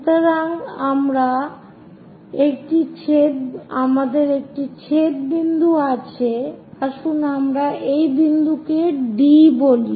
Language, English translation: Bengali, So, that we have an intersection point let us call that point as D